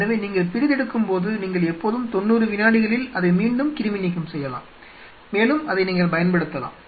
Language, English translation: Tamil, So, while you are dissecting you can always you know re sterilize it in 90 seconds and it still you can use